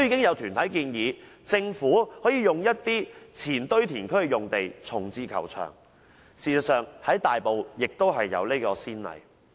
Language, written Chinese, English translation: Cantonese, 有團體建議，政府可在一些前堆填區的用地重置球場，事實上在大埔已有先例。, It is suggested that the Government could relocate the golf club at some former landfill sites . In fact there is a precedent in Tai Po